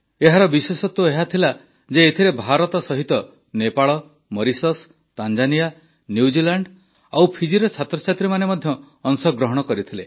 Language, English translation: Odia, The special element in that was along with India, students from Nepal, Mauritius, Tanzania, New Zealand and Fiji too participated in that activity